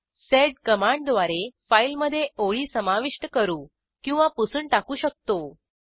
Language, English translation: Marathi, We can also use sed to add or delete lines in the file